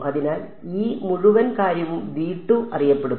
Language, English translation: Malayalam, So, this whole thing is also known